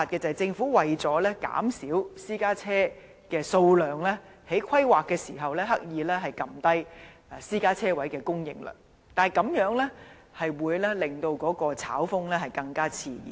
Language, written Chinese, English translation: Cantonese, 政府為了減少私家車的數量，在規劃時刻意壓低私家車車位的供應量，但這樣只會令炒風更熾熱。, In order to reduce the number of private vehicles the Government has deliberately reduced the supply of private vehicle parking spaces in the course of planning speculation has thus been fuelled